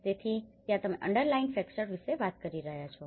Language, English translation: Gujarati, So that is where you are talking about the underlying factors